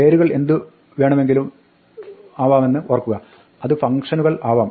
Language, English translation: Malayalam, Remember that names can be anything, it could be functions